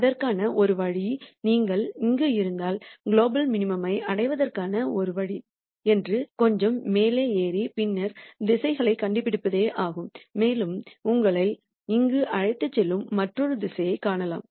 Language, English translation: Tamil, The only way to do it is let us say if you are here the only way to get to global minimum is to really climb up a little more and then nd directions and maybe you will nd another direction which takes you here